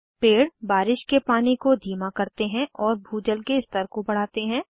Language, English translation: Hindi, Trees slow down rain water and helps in increasing groundwater level